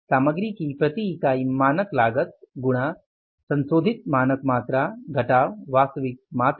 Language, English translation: Hindi, Standard cost of material per unit into standard quantity minus actual quantity